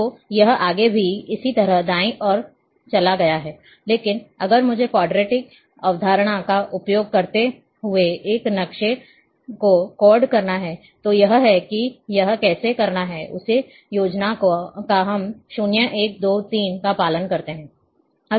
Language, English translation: Hindi, So, it has go on the right side further and likewise, but if I have to code this map, using Quadtree concept, that this is how it is need to be done, same scheme we follow 0 1 2 3